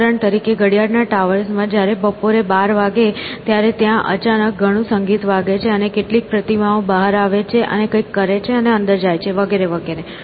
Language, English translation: Gujarati, For example, in clock towers when it is 12 noon suddenly there is a lot of music and some statues come out and do something and go back in, that kind of stuff